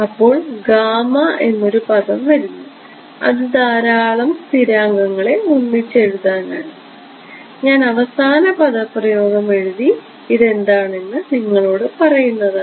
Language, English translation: Malayalam, So, there is a term gamma comes which captures a lot of the constants I will just write down the final expression and then tell you what this is